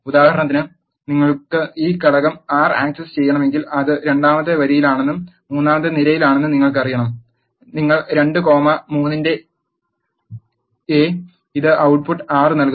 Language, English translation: Malayalam, And for example, if you want to access this element 6 you have to say it is in the second row and the third column you have to say A of 2 comma 3 it is give an output 6